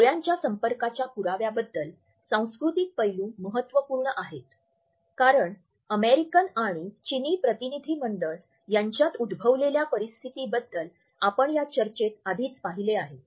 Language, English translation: Marathi, Cultural aspects in the evidence of eye contact are also important as we have already seen in our discussion of the situation which has emerged between the American and the Chinese delegation